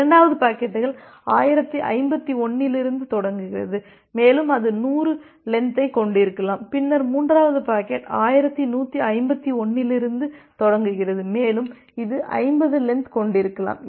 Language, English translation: Tamil, The second packets starts from then 1051 and it can have a length of 100 then the third packet starts from 1151 and it can have a length of another 50